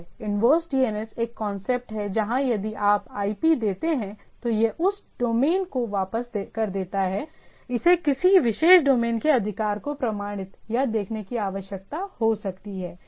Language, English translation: Hindi, There is a concept of inverse DNS where if you give the IP it returns that domain of the things, it may be required for authenticate or see the authority of a particular domain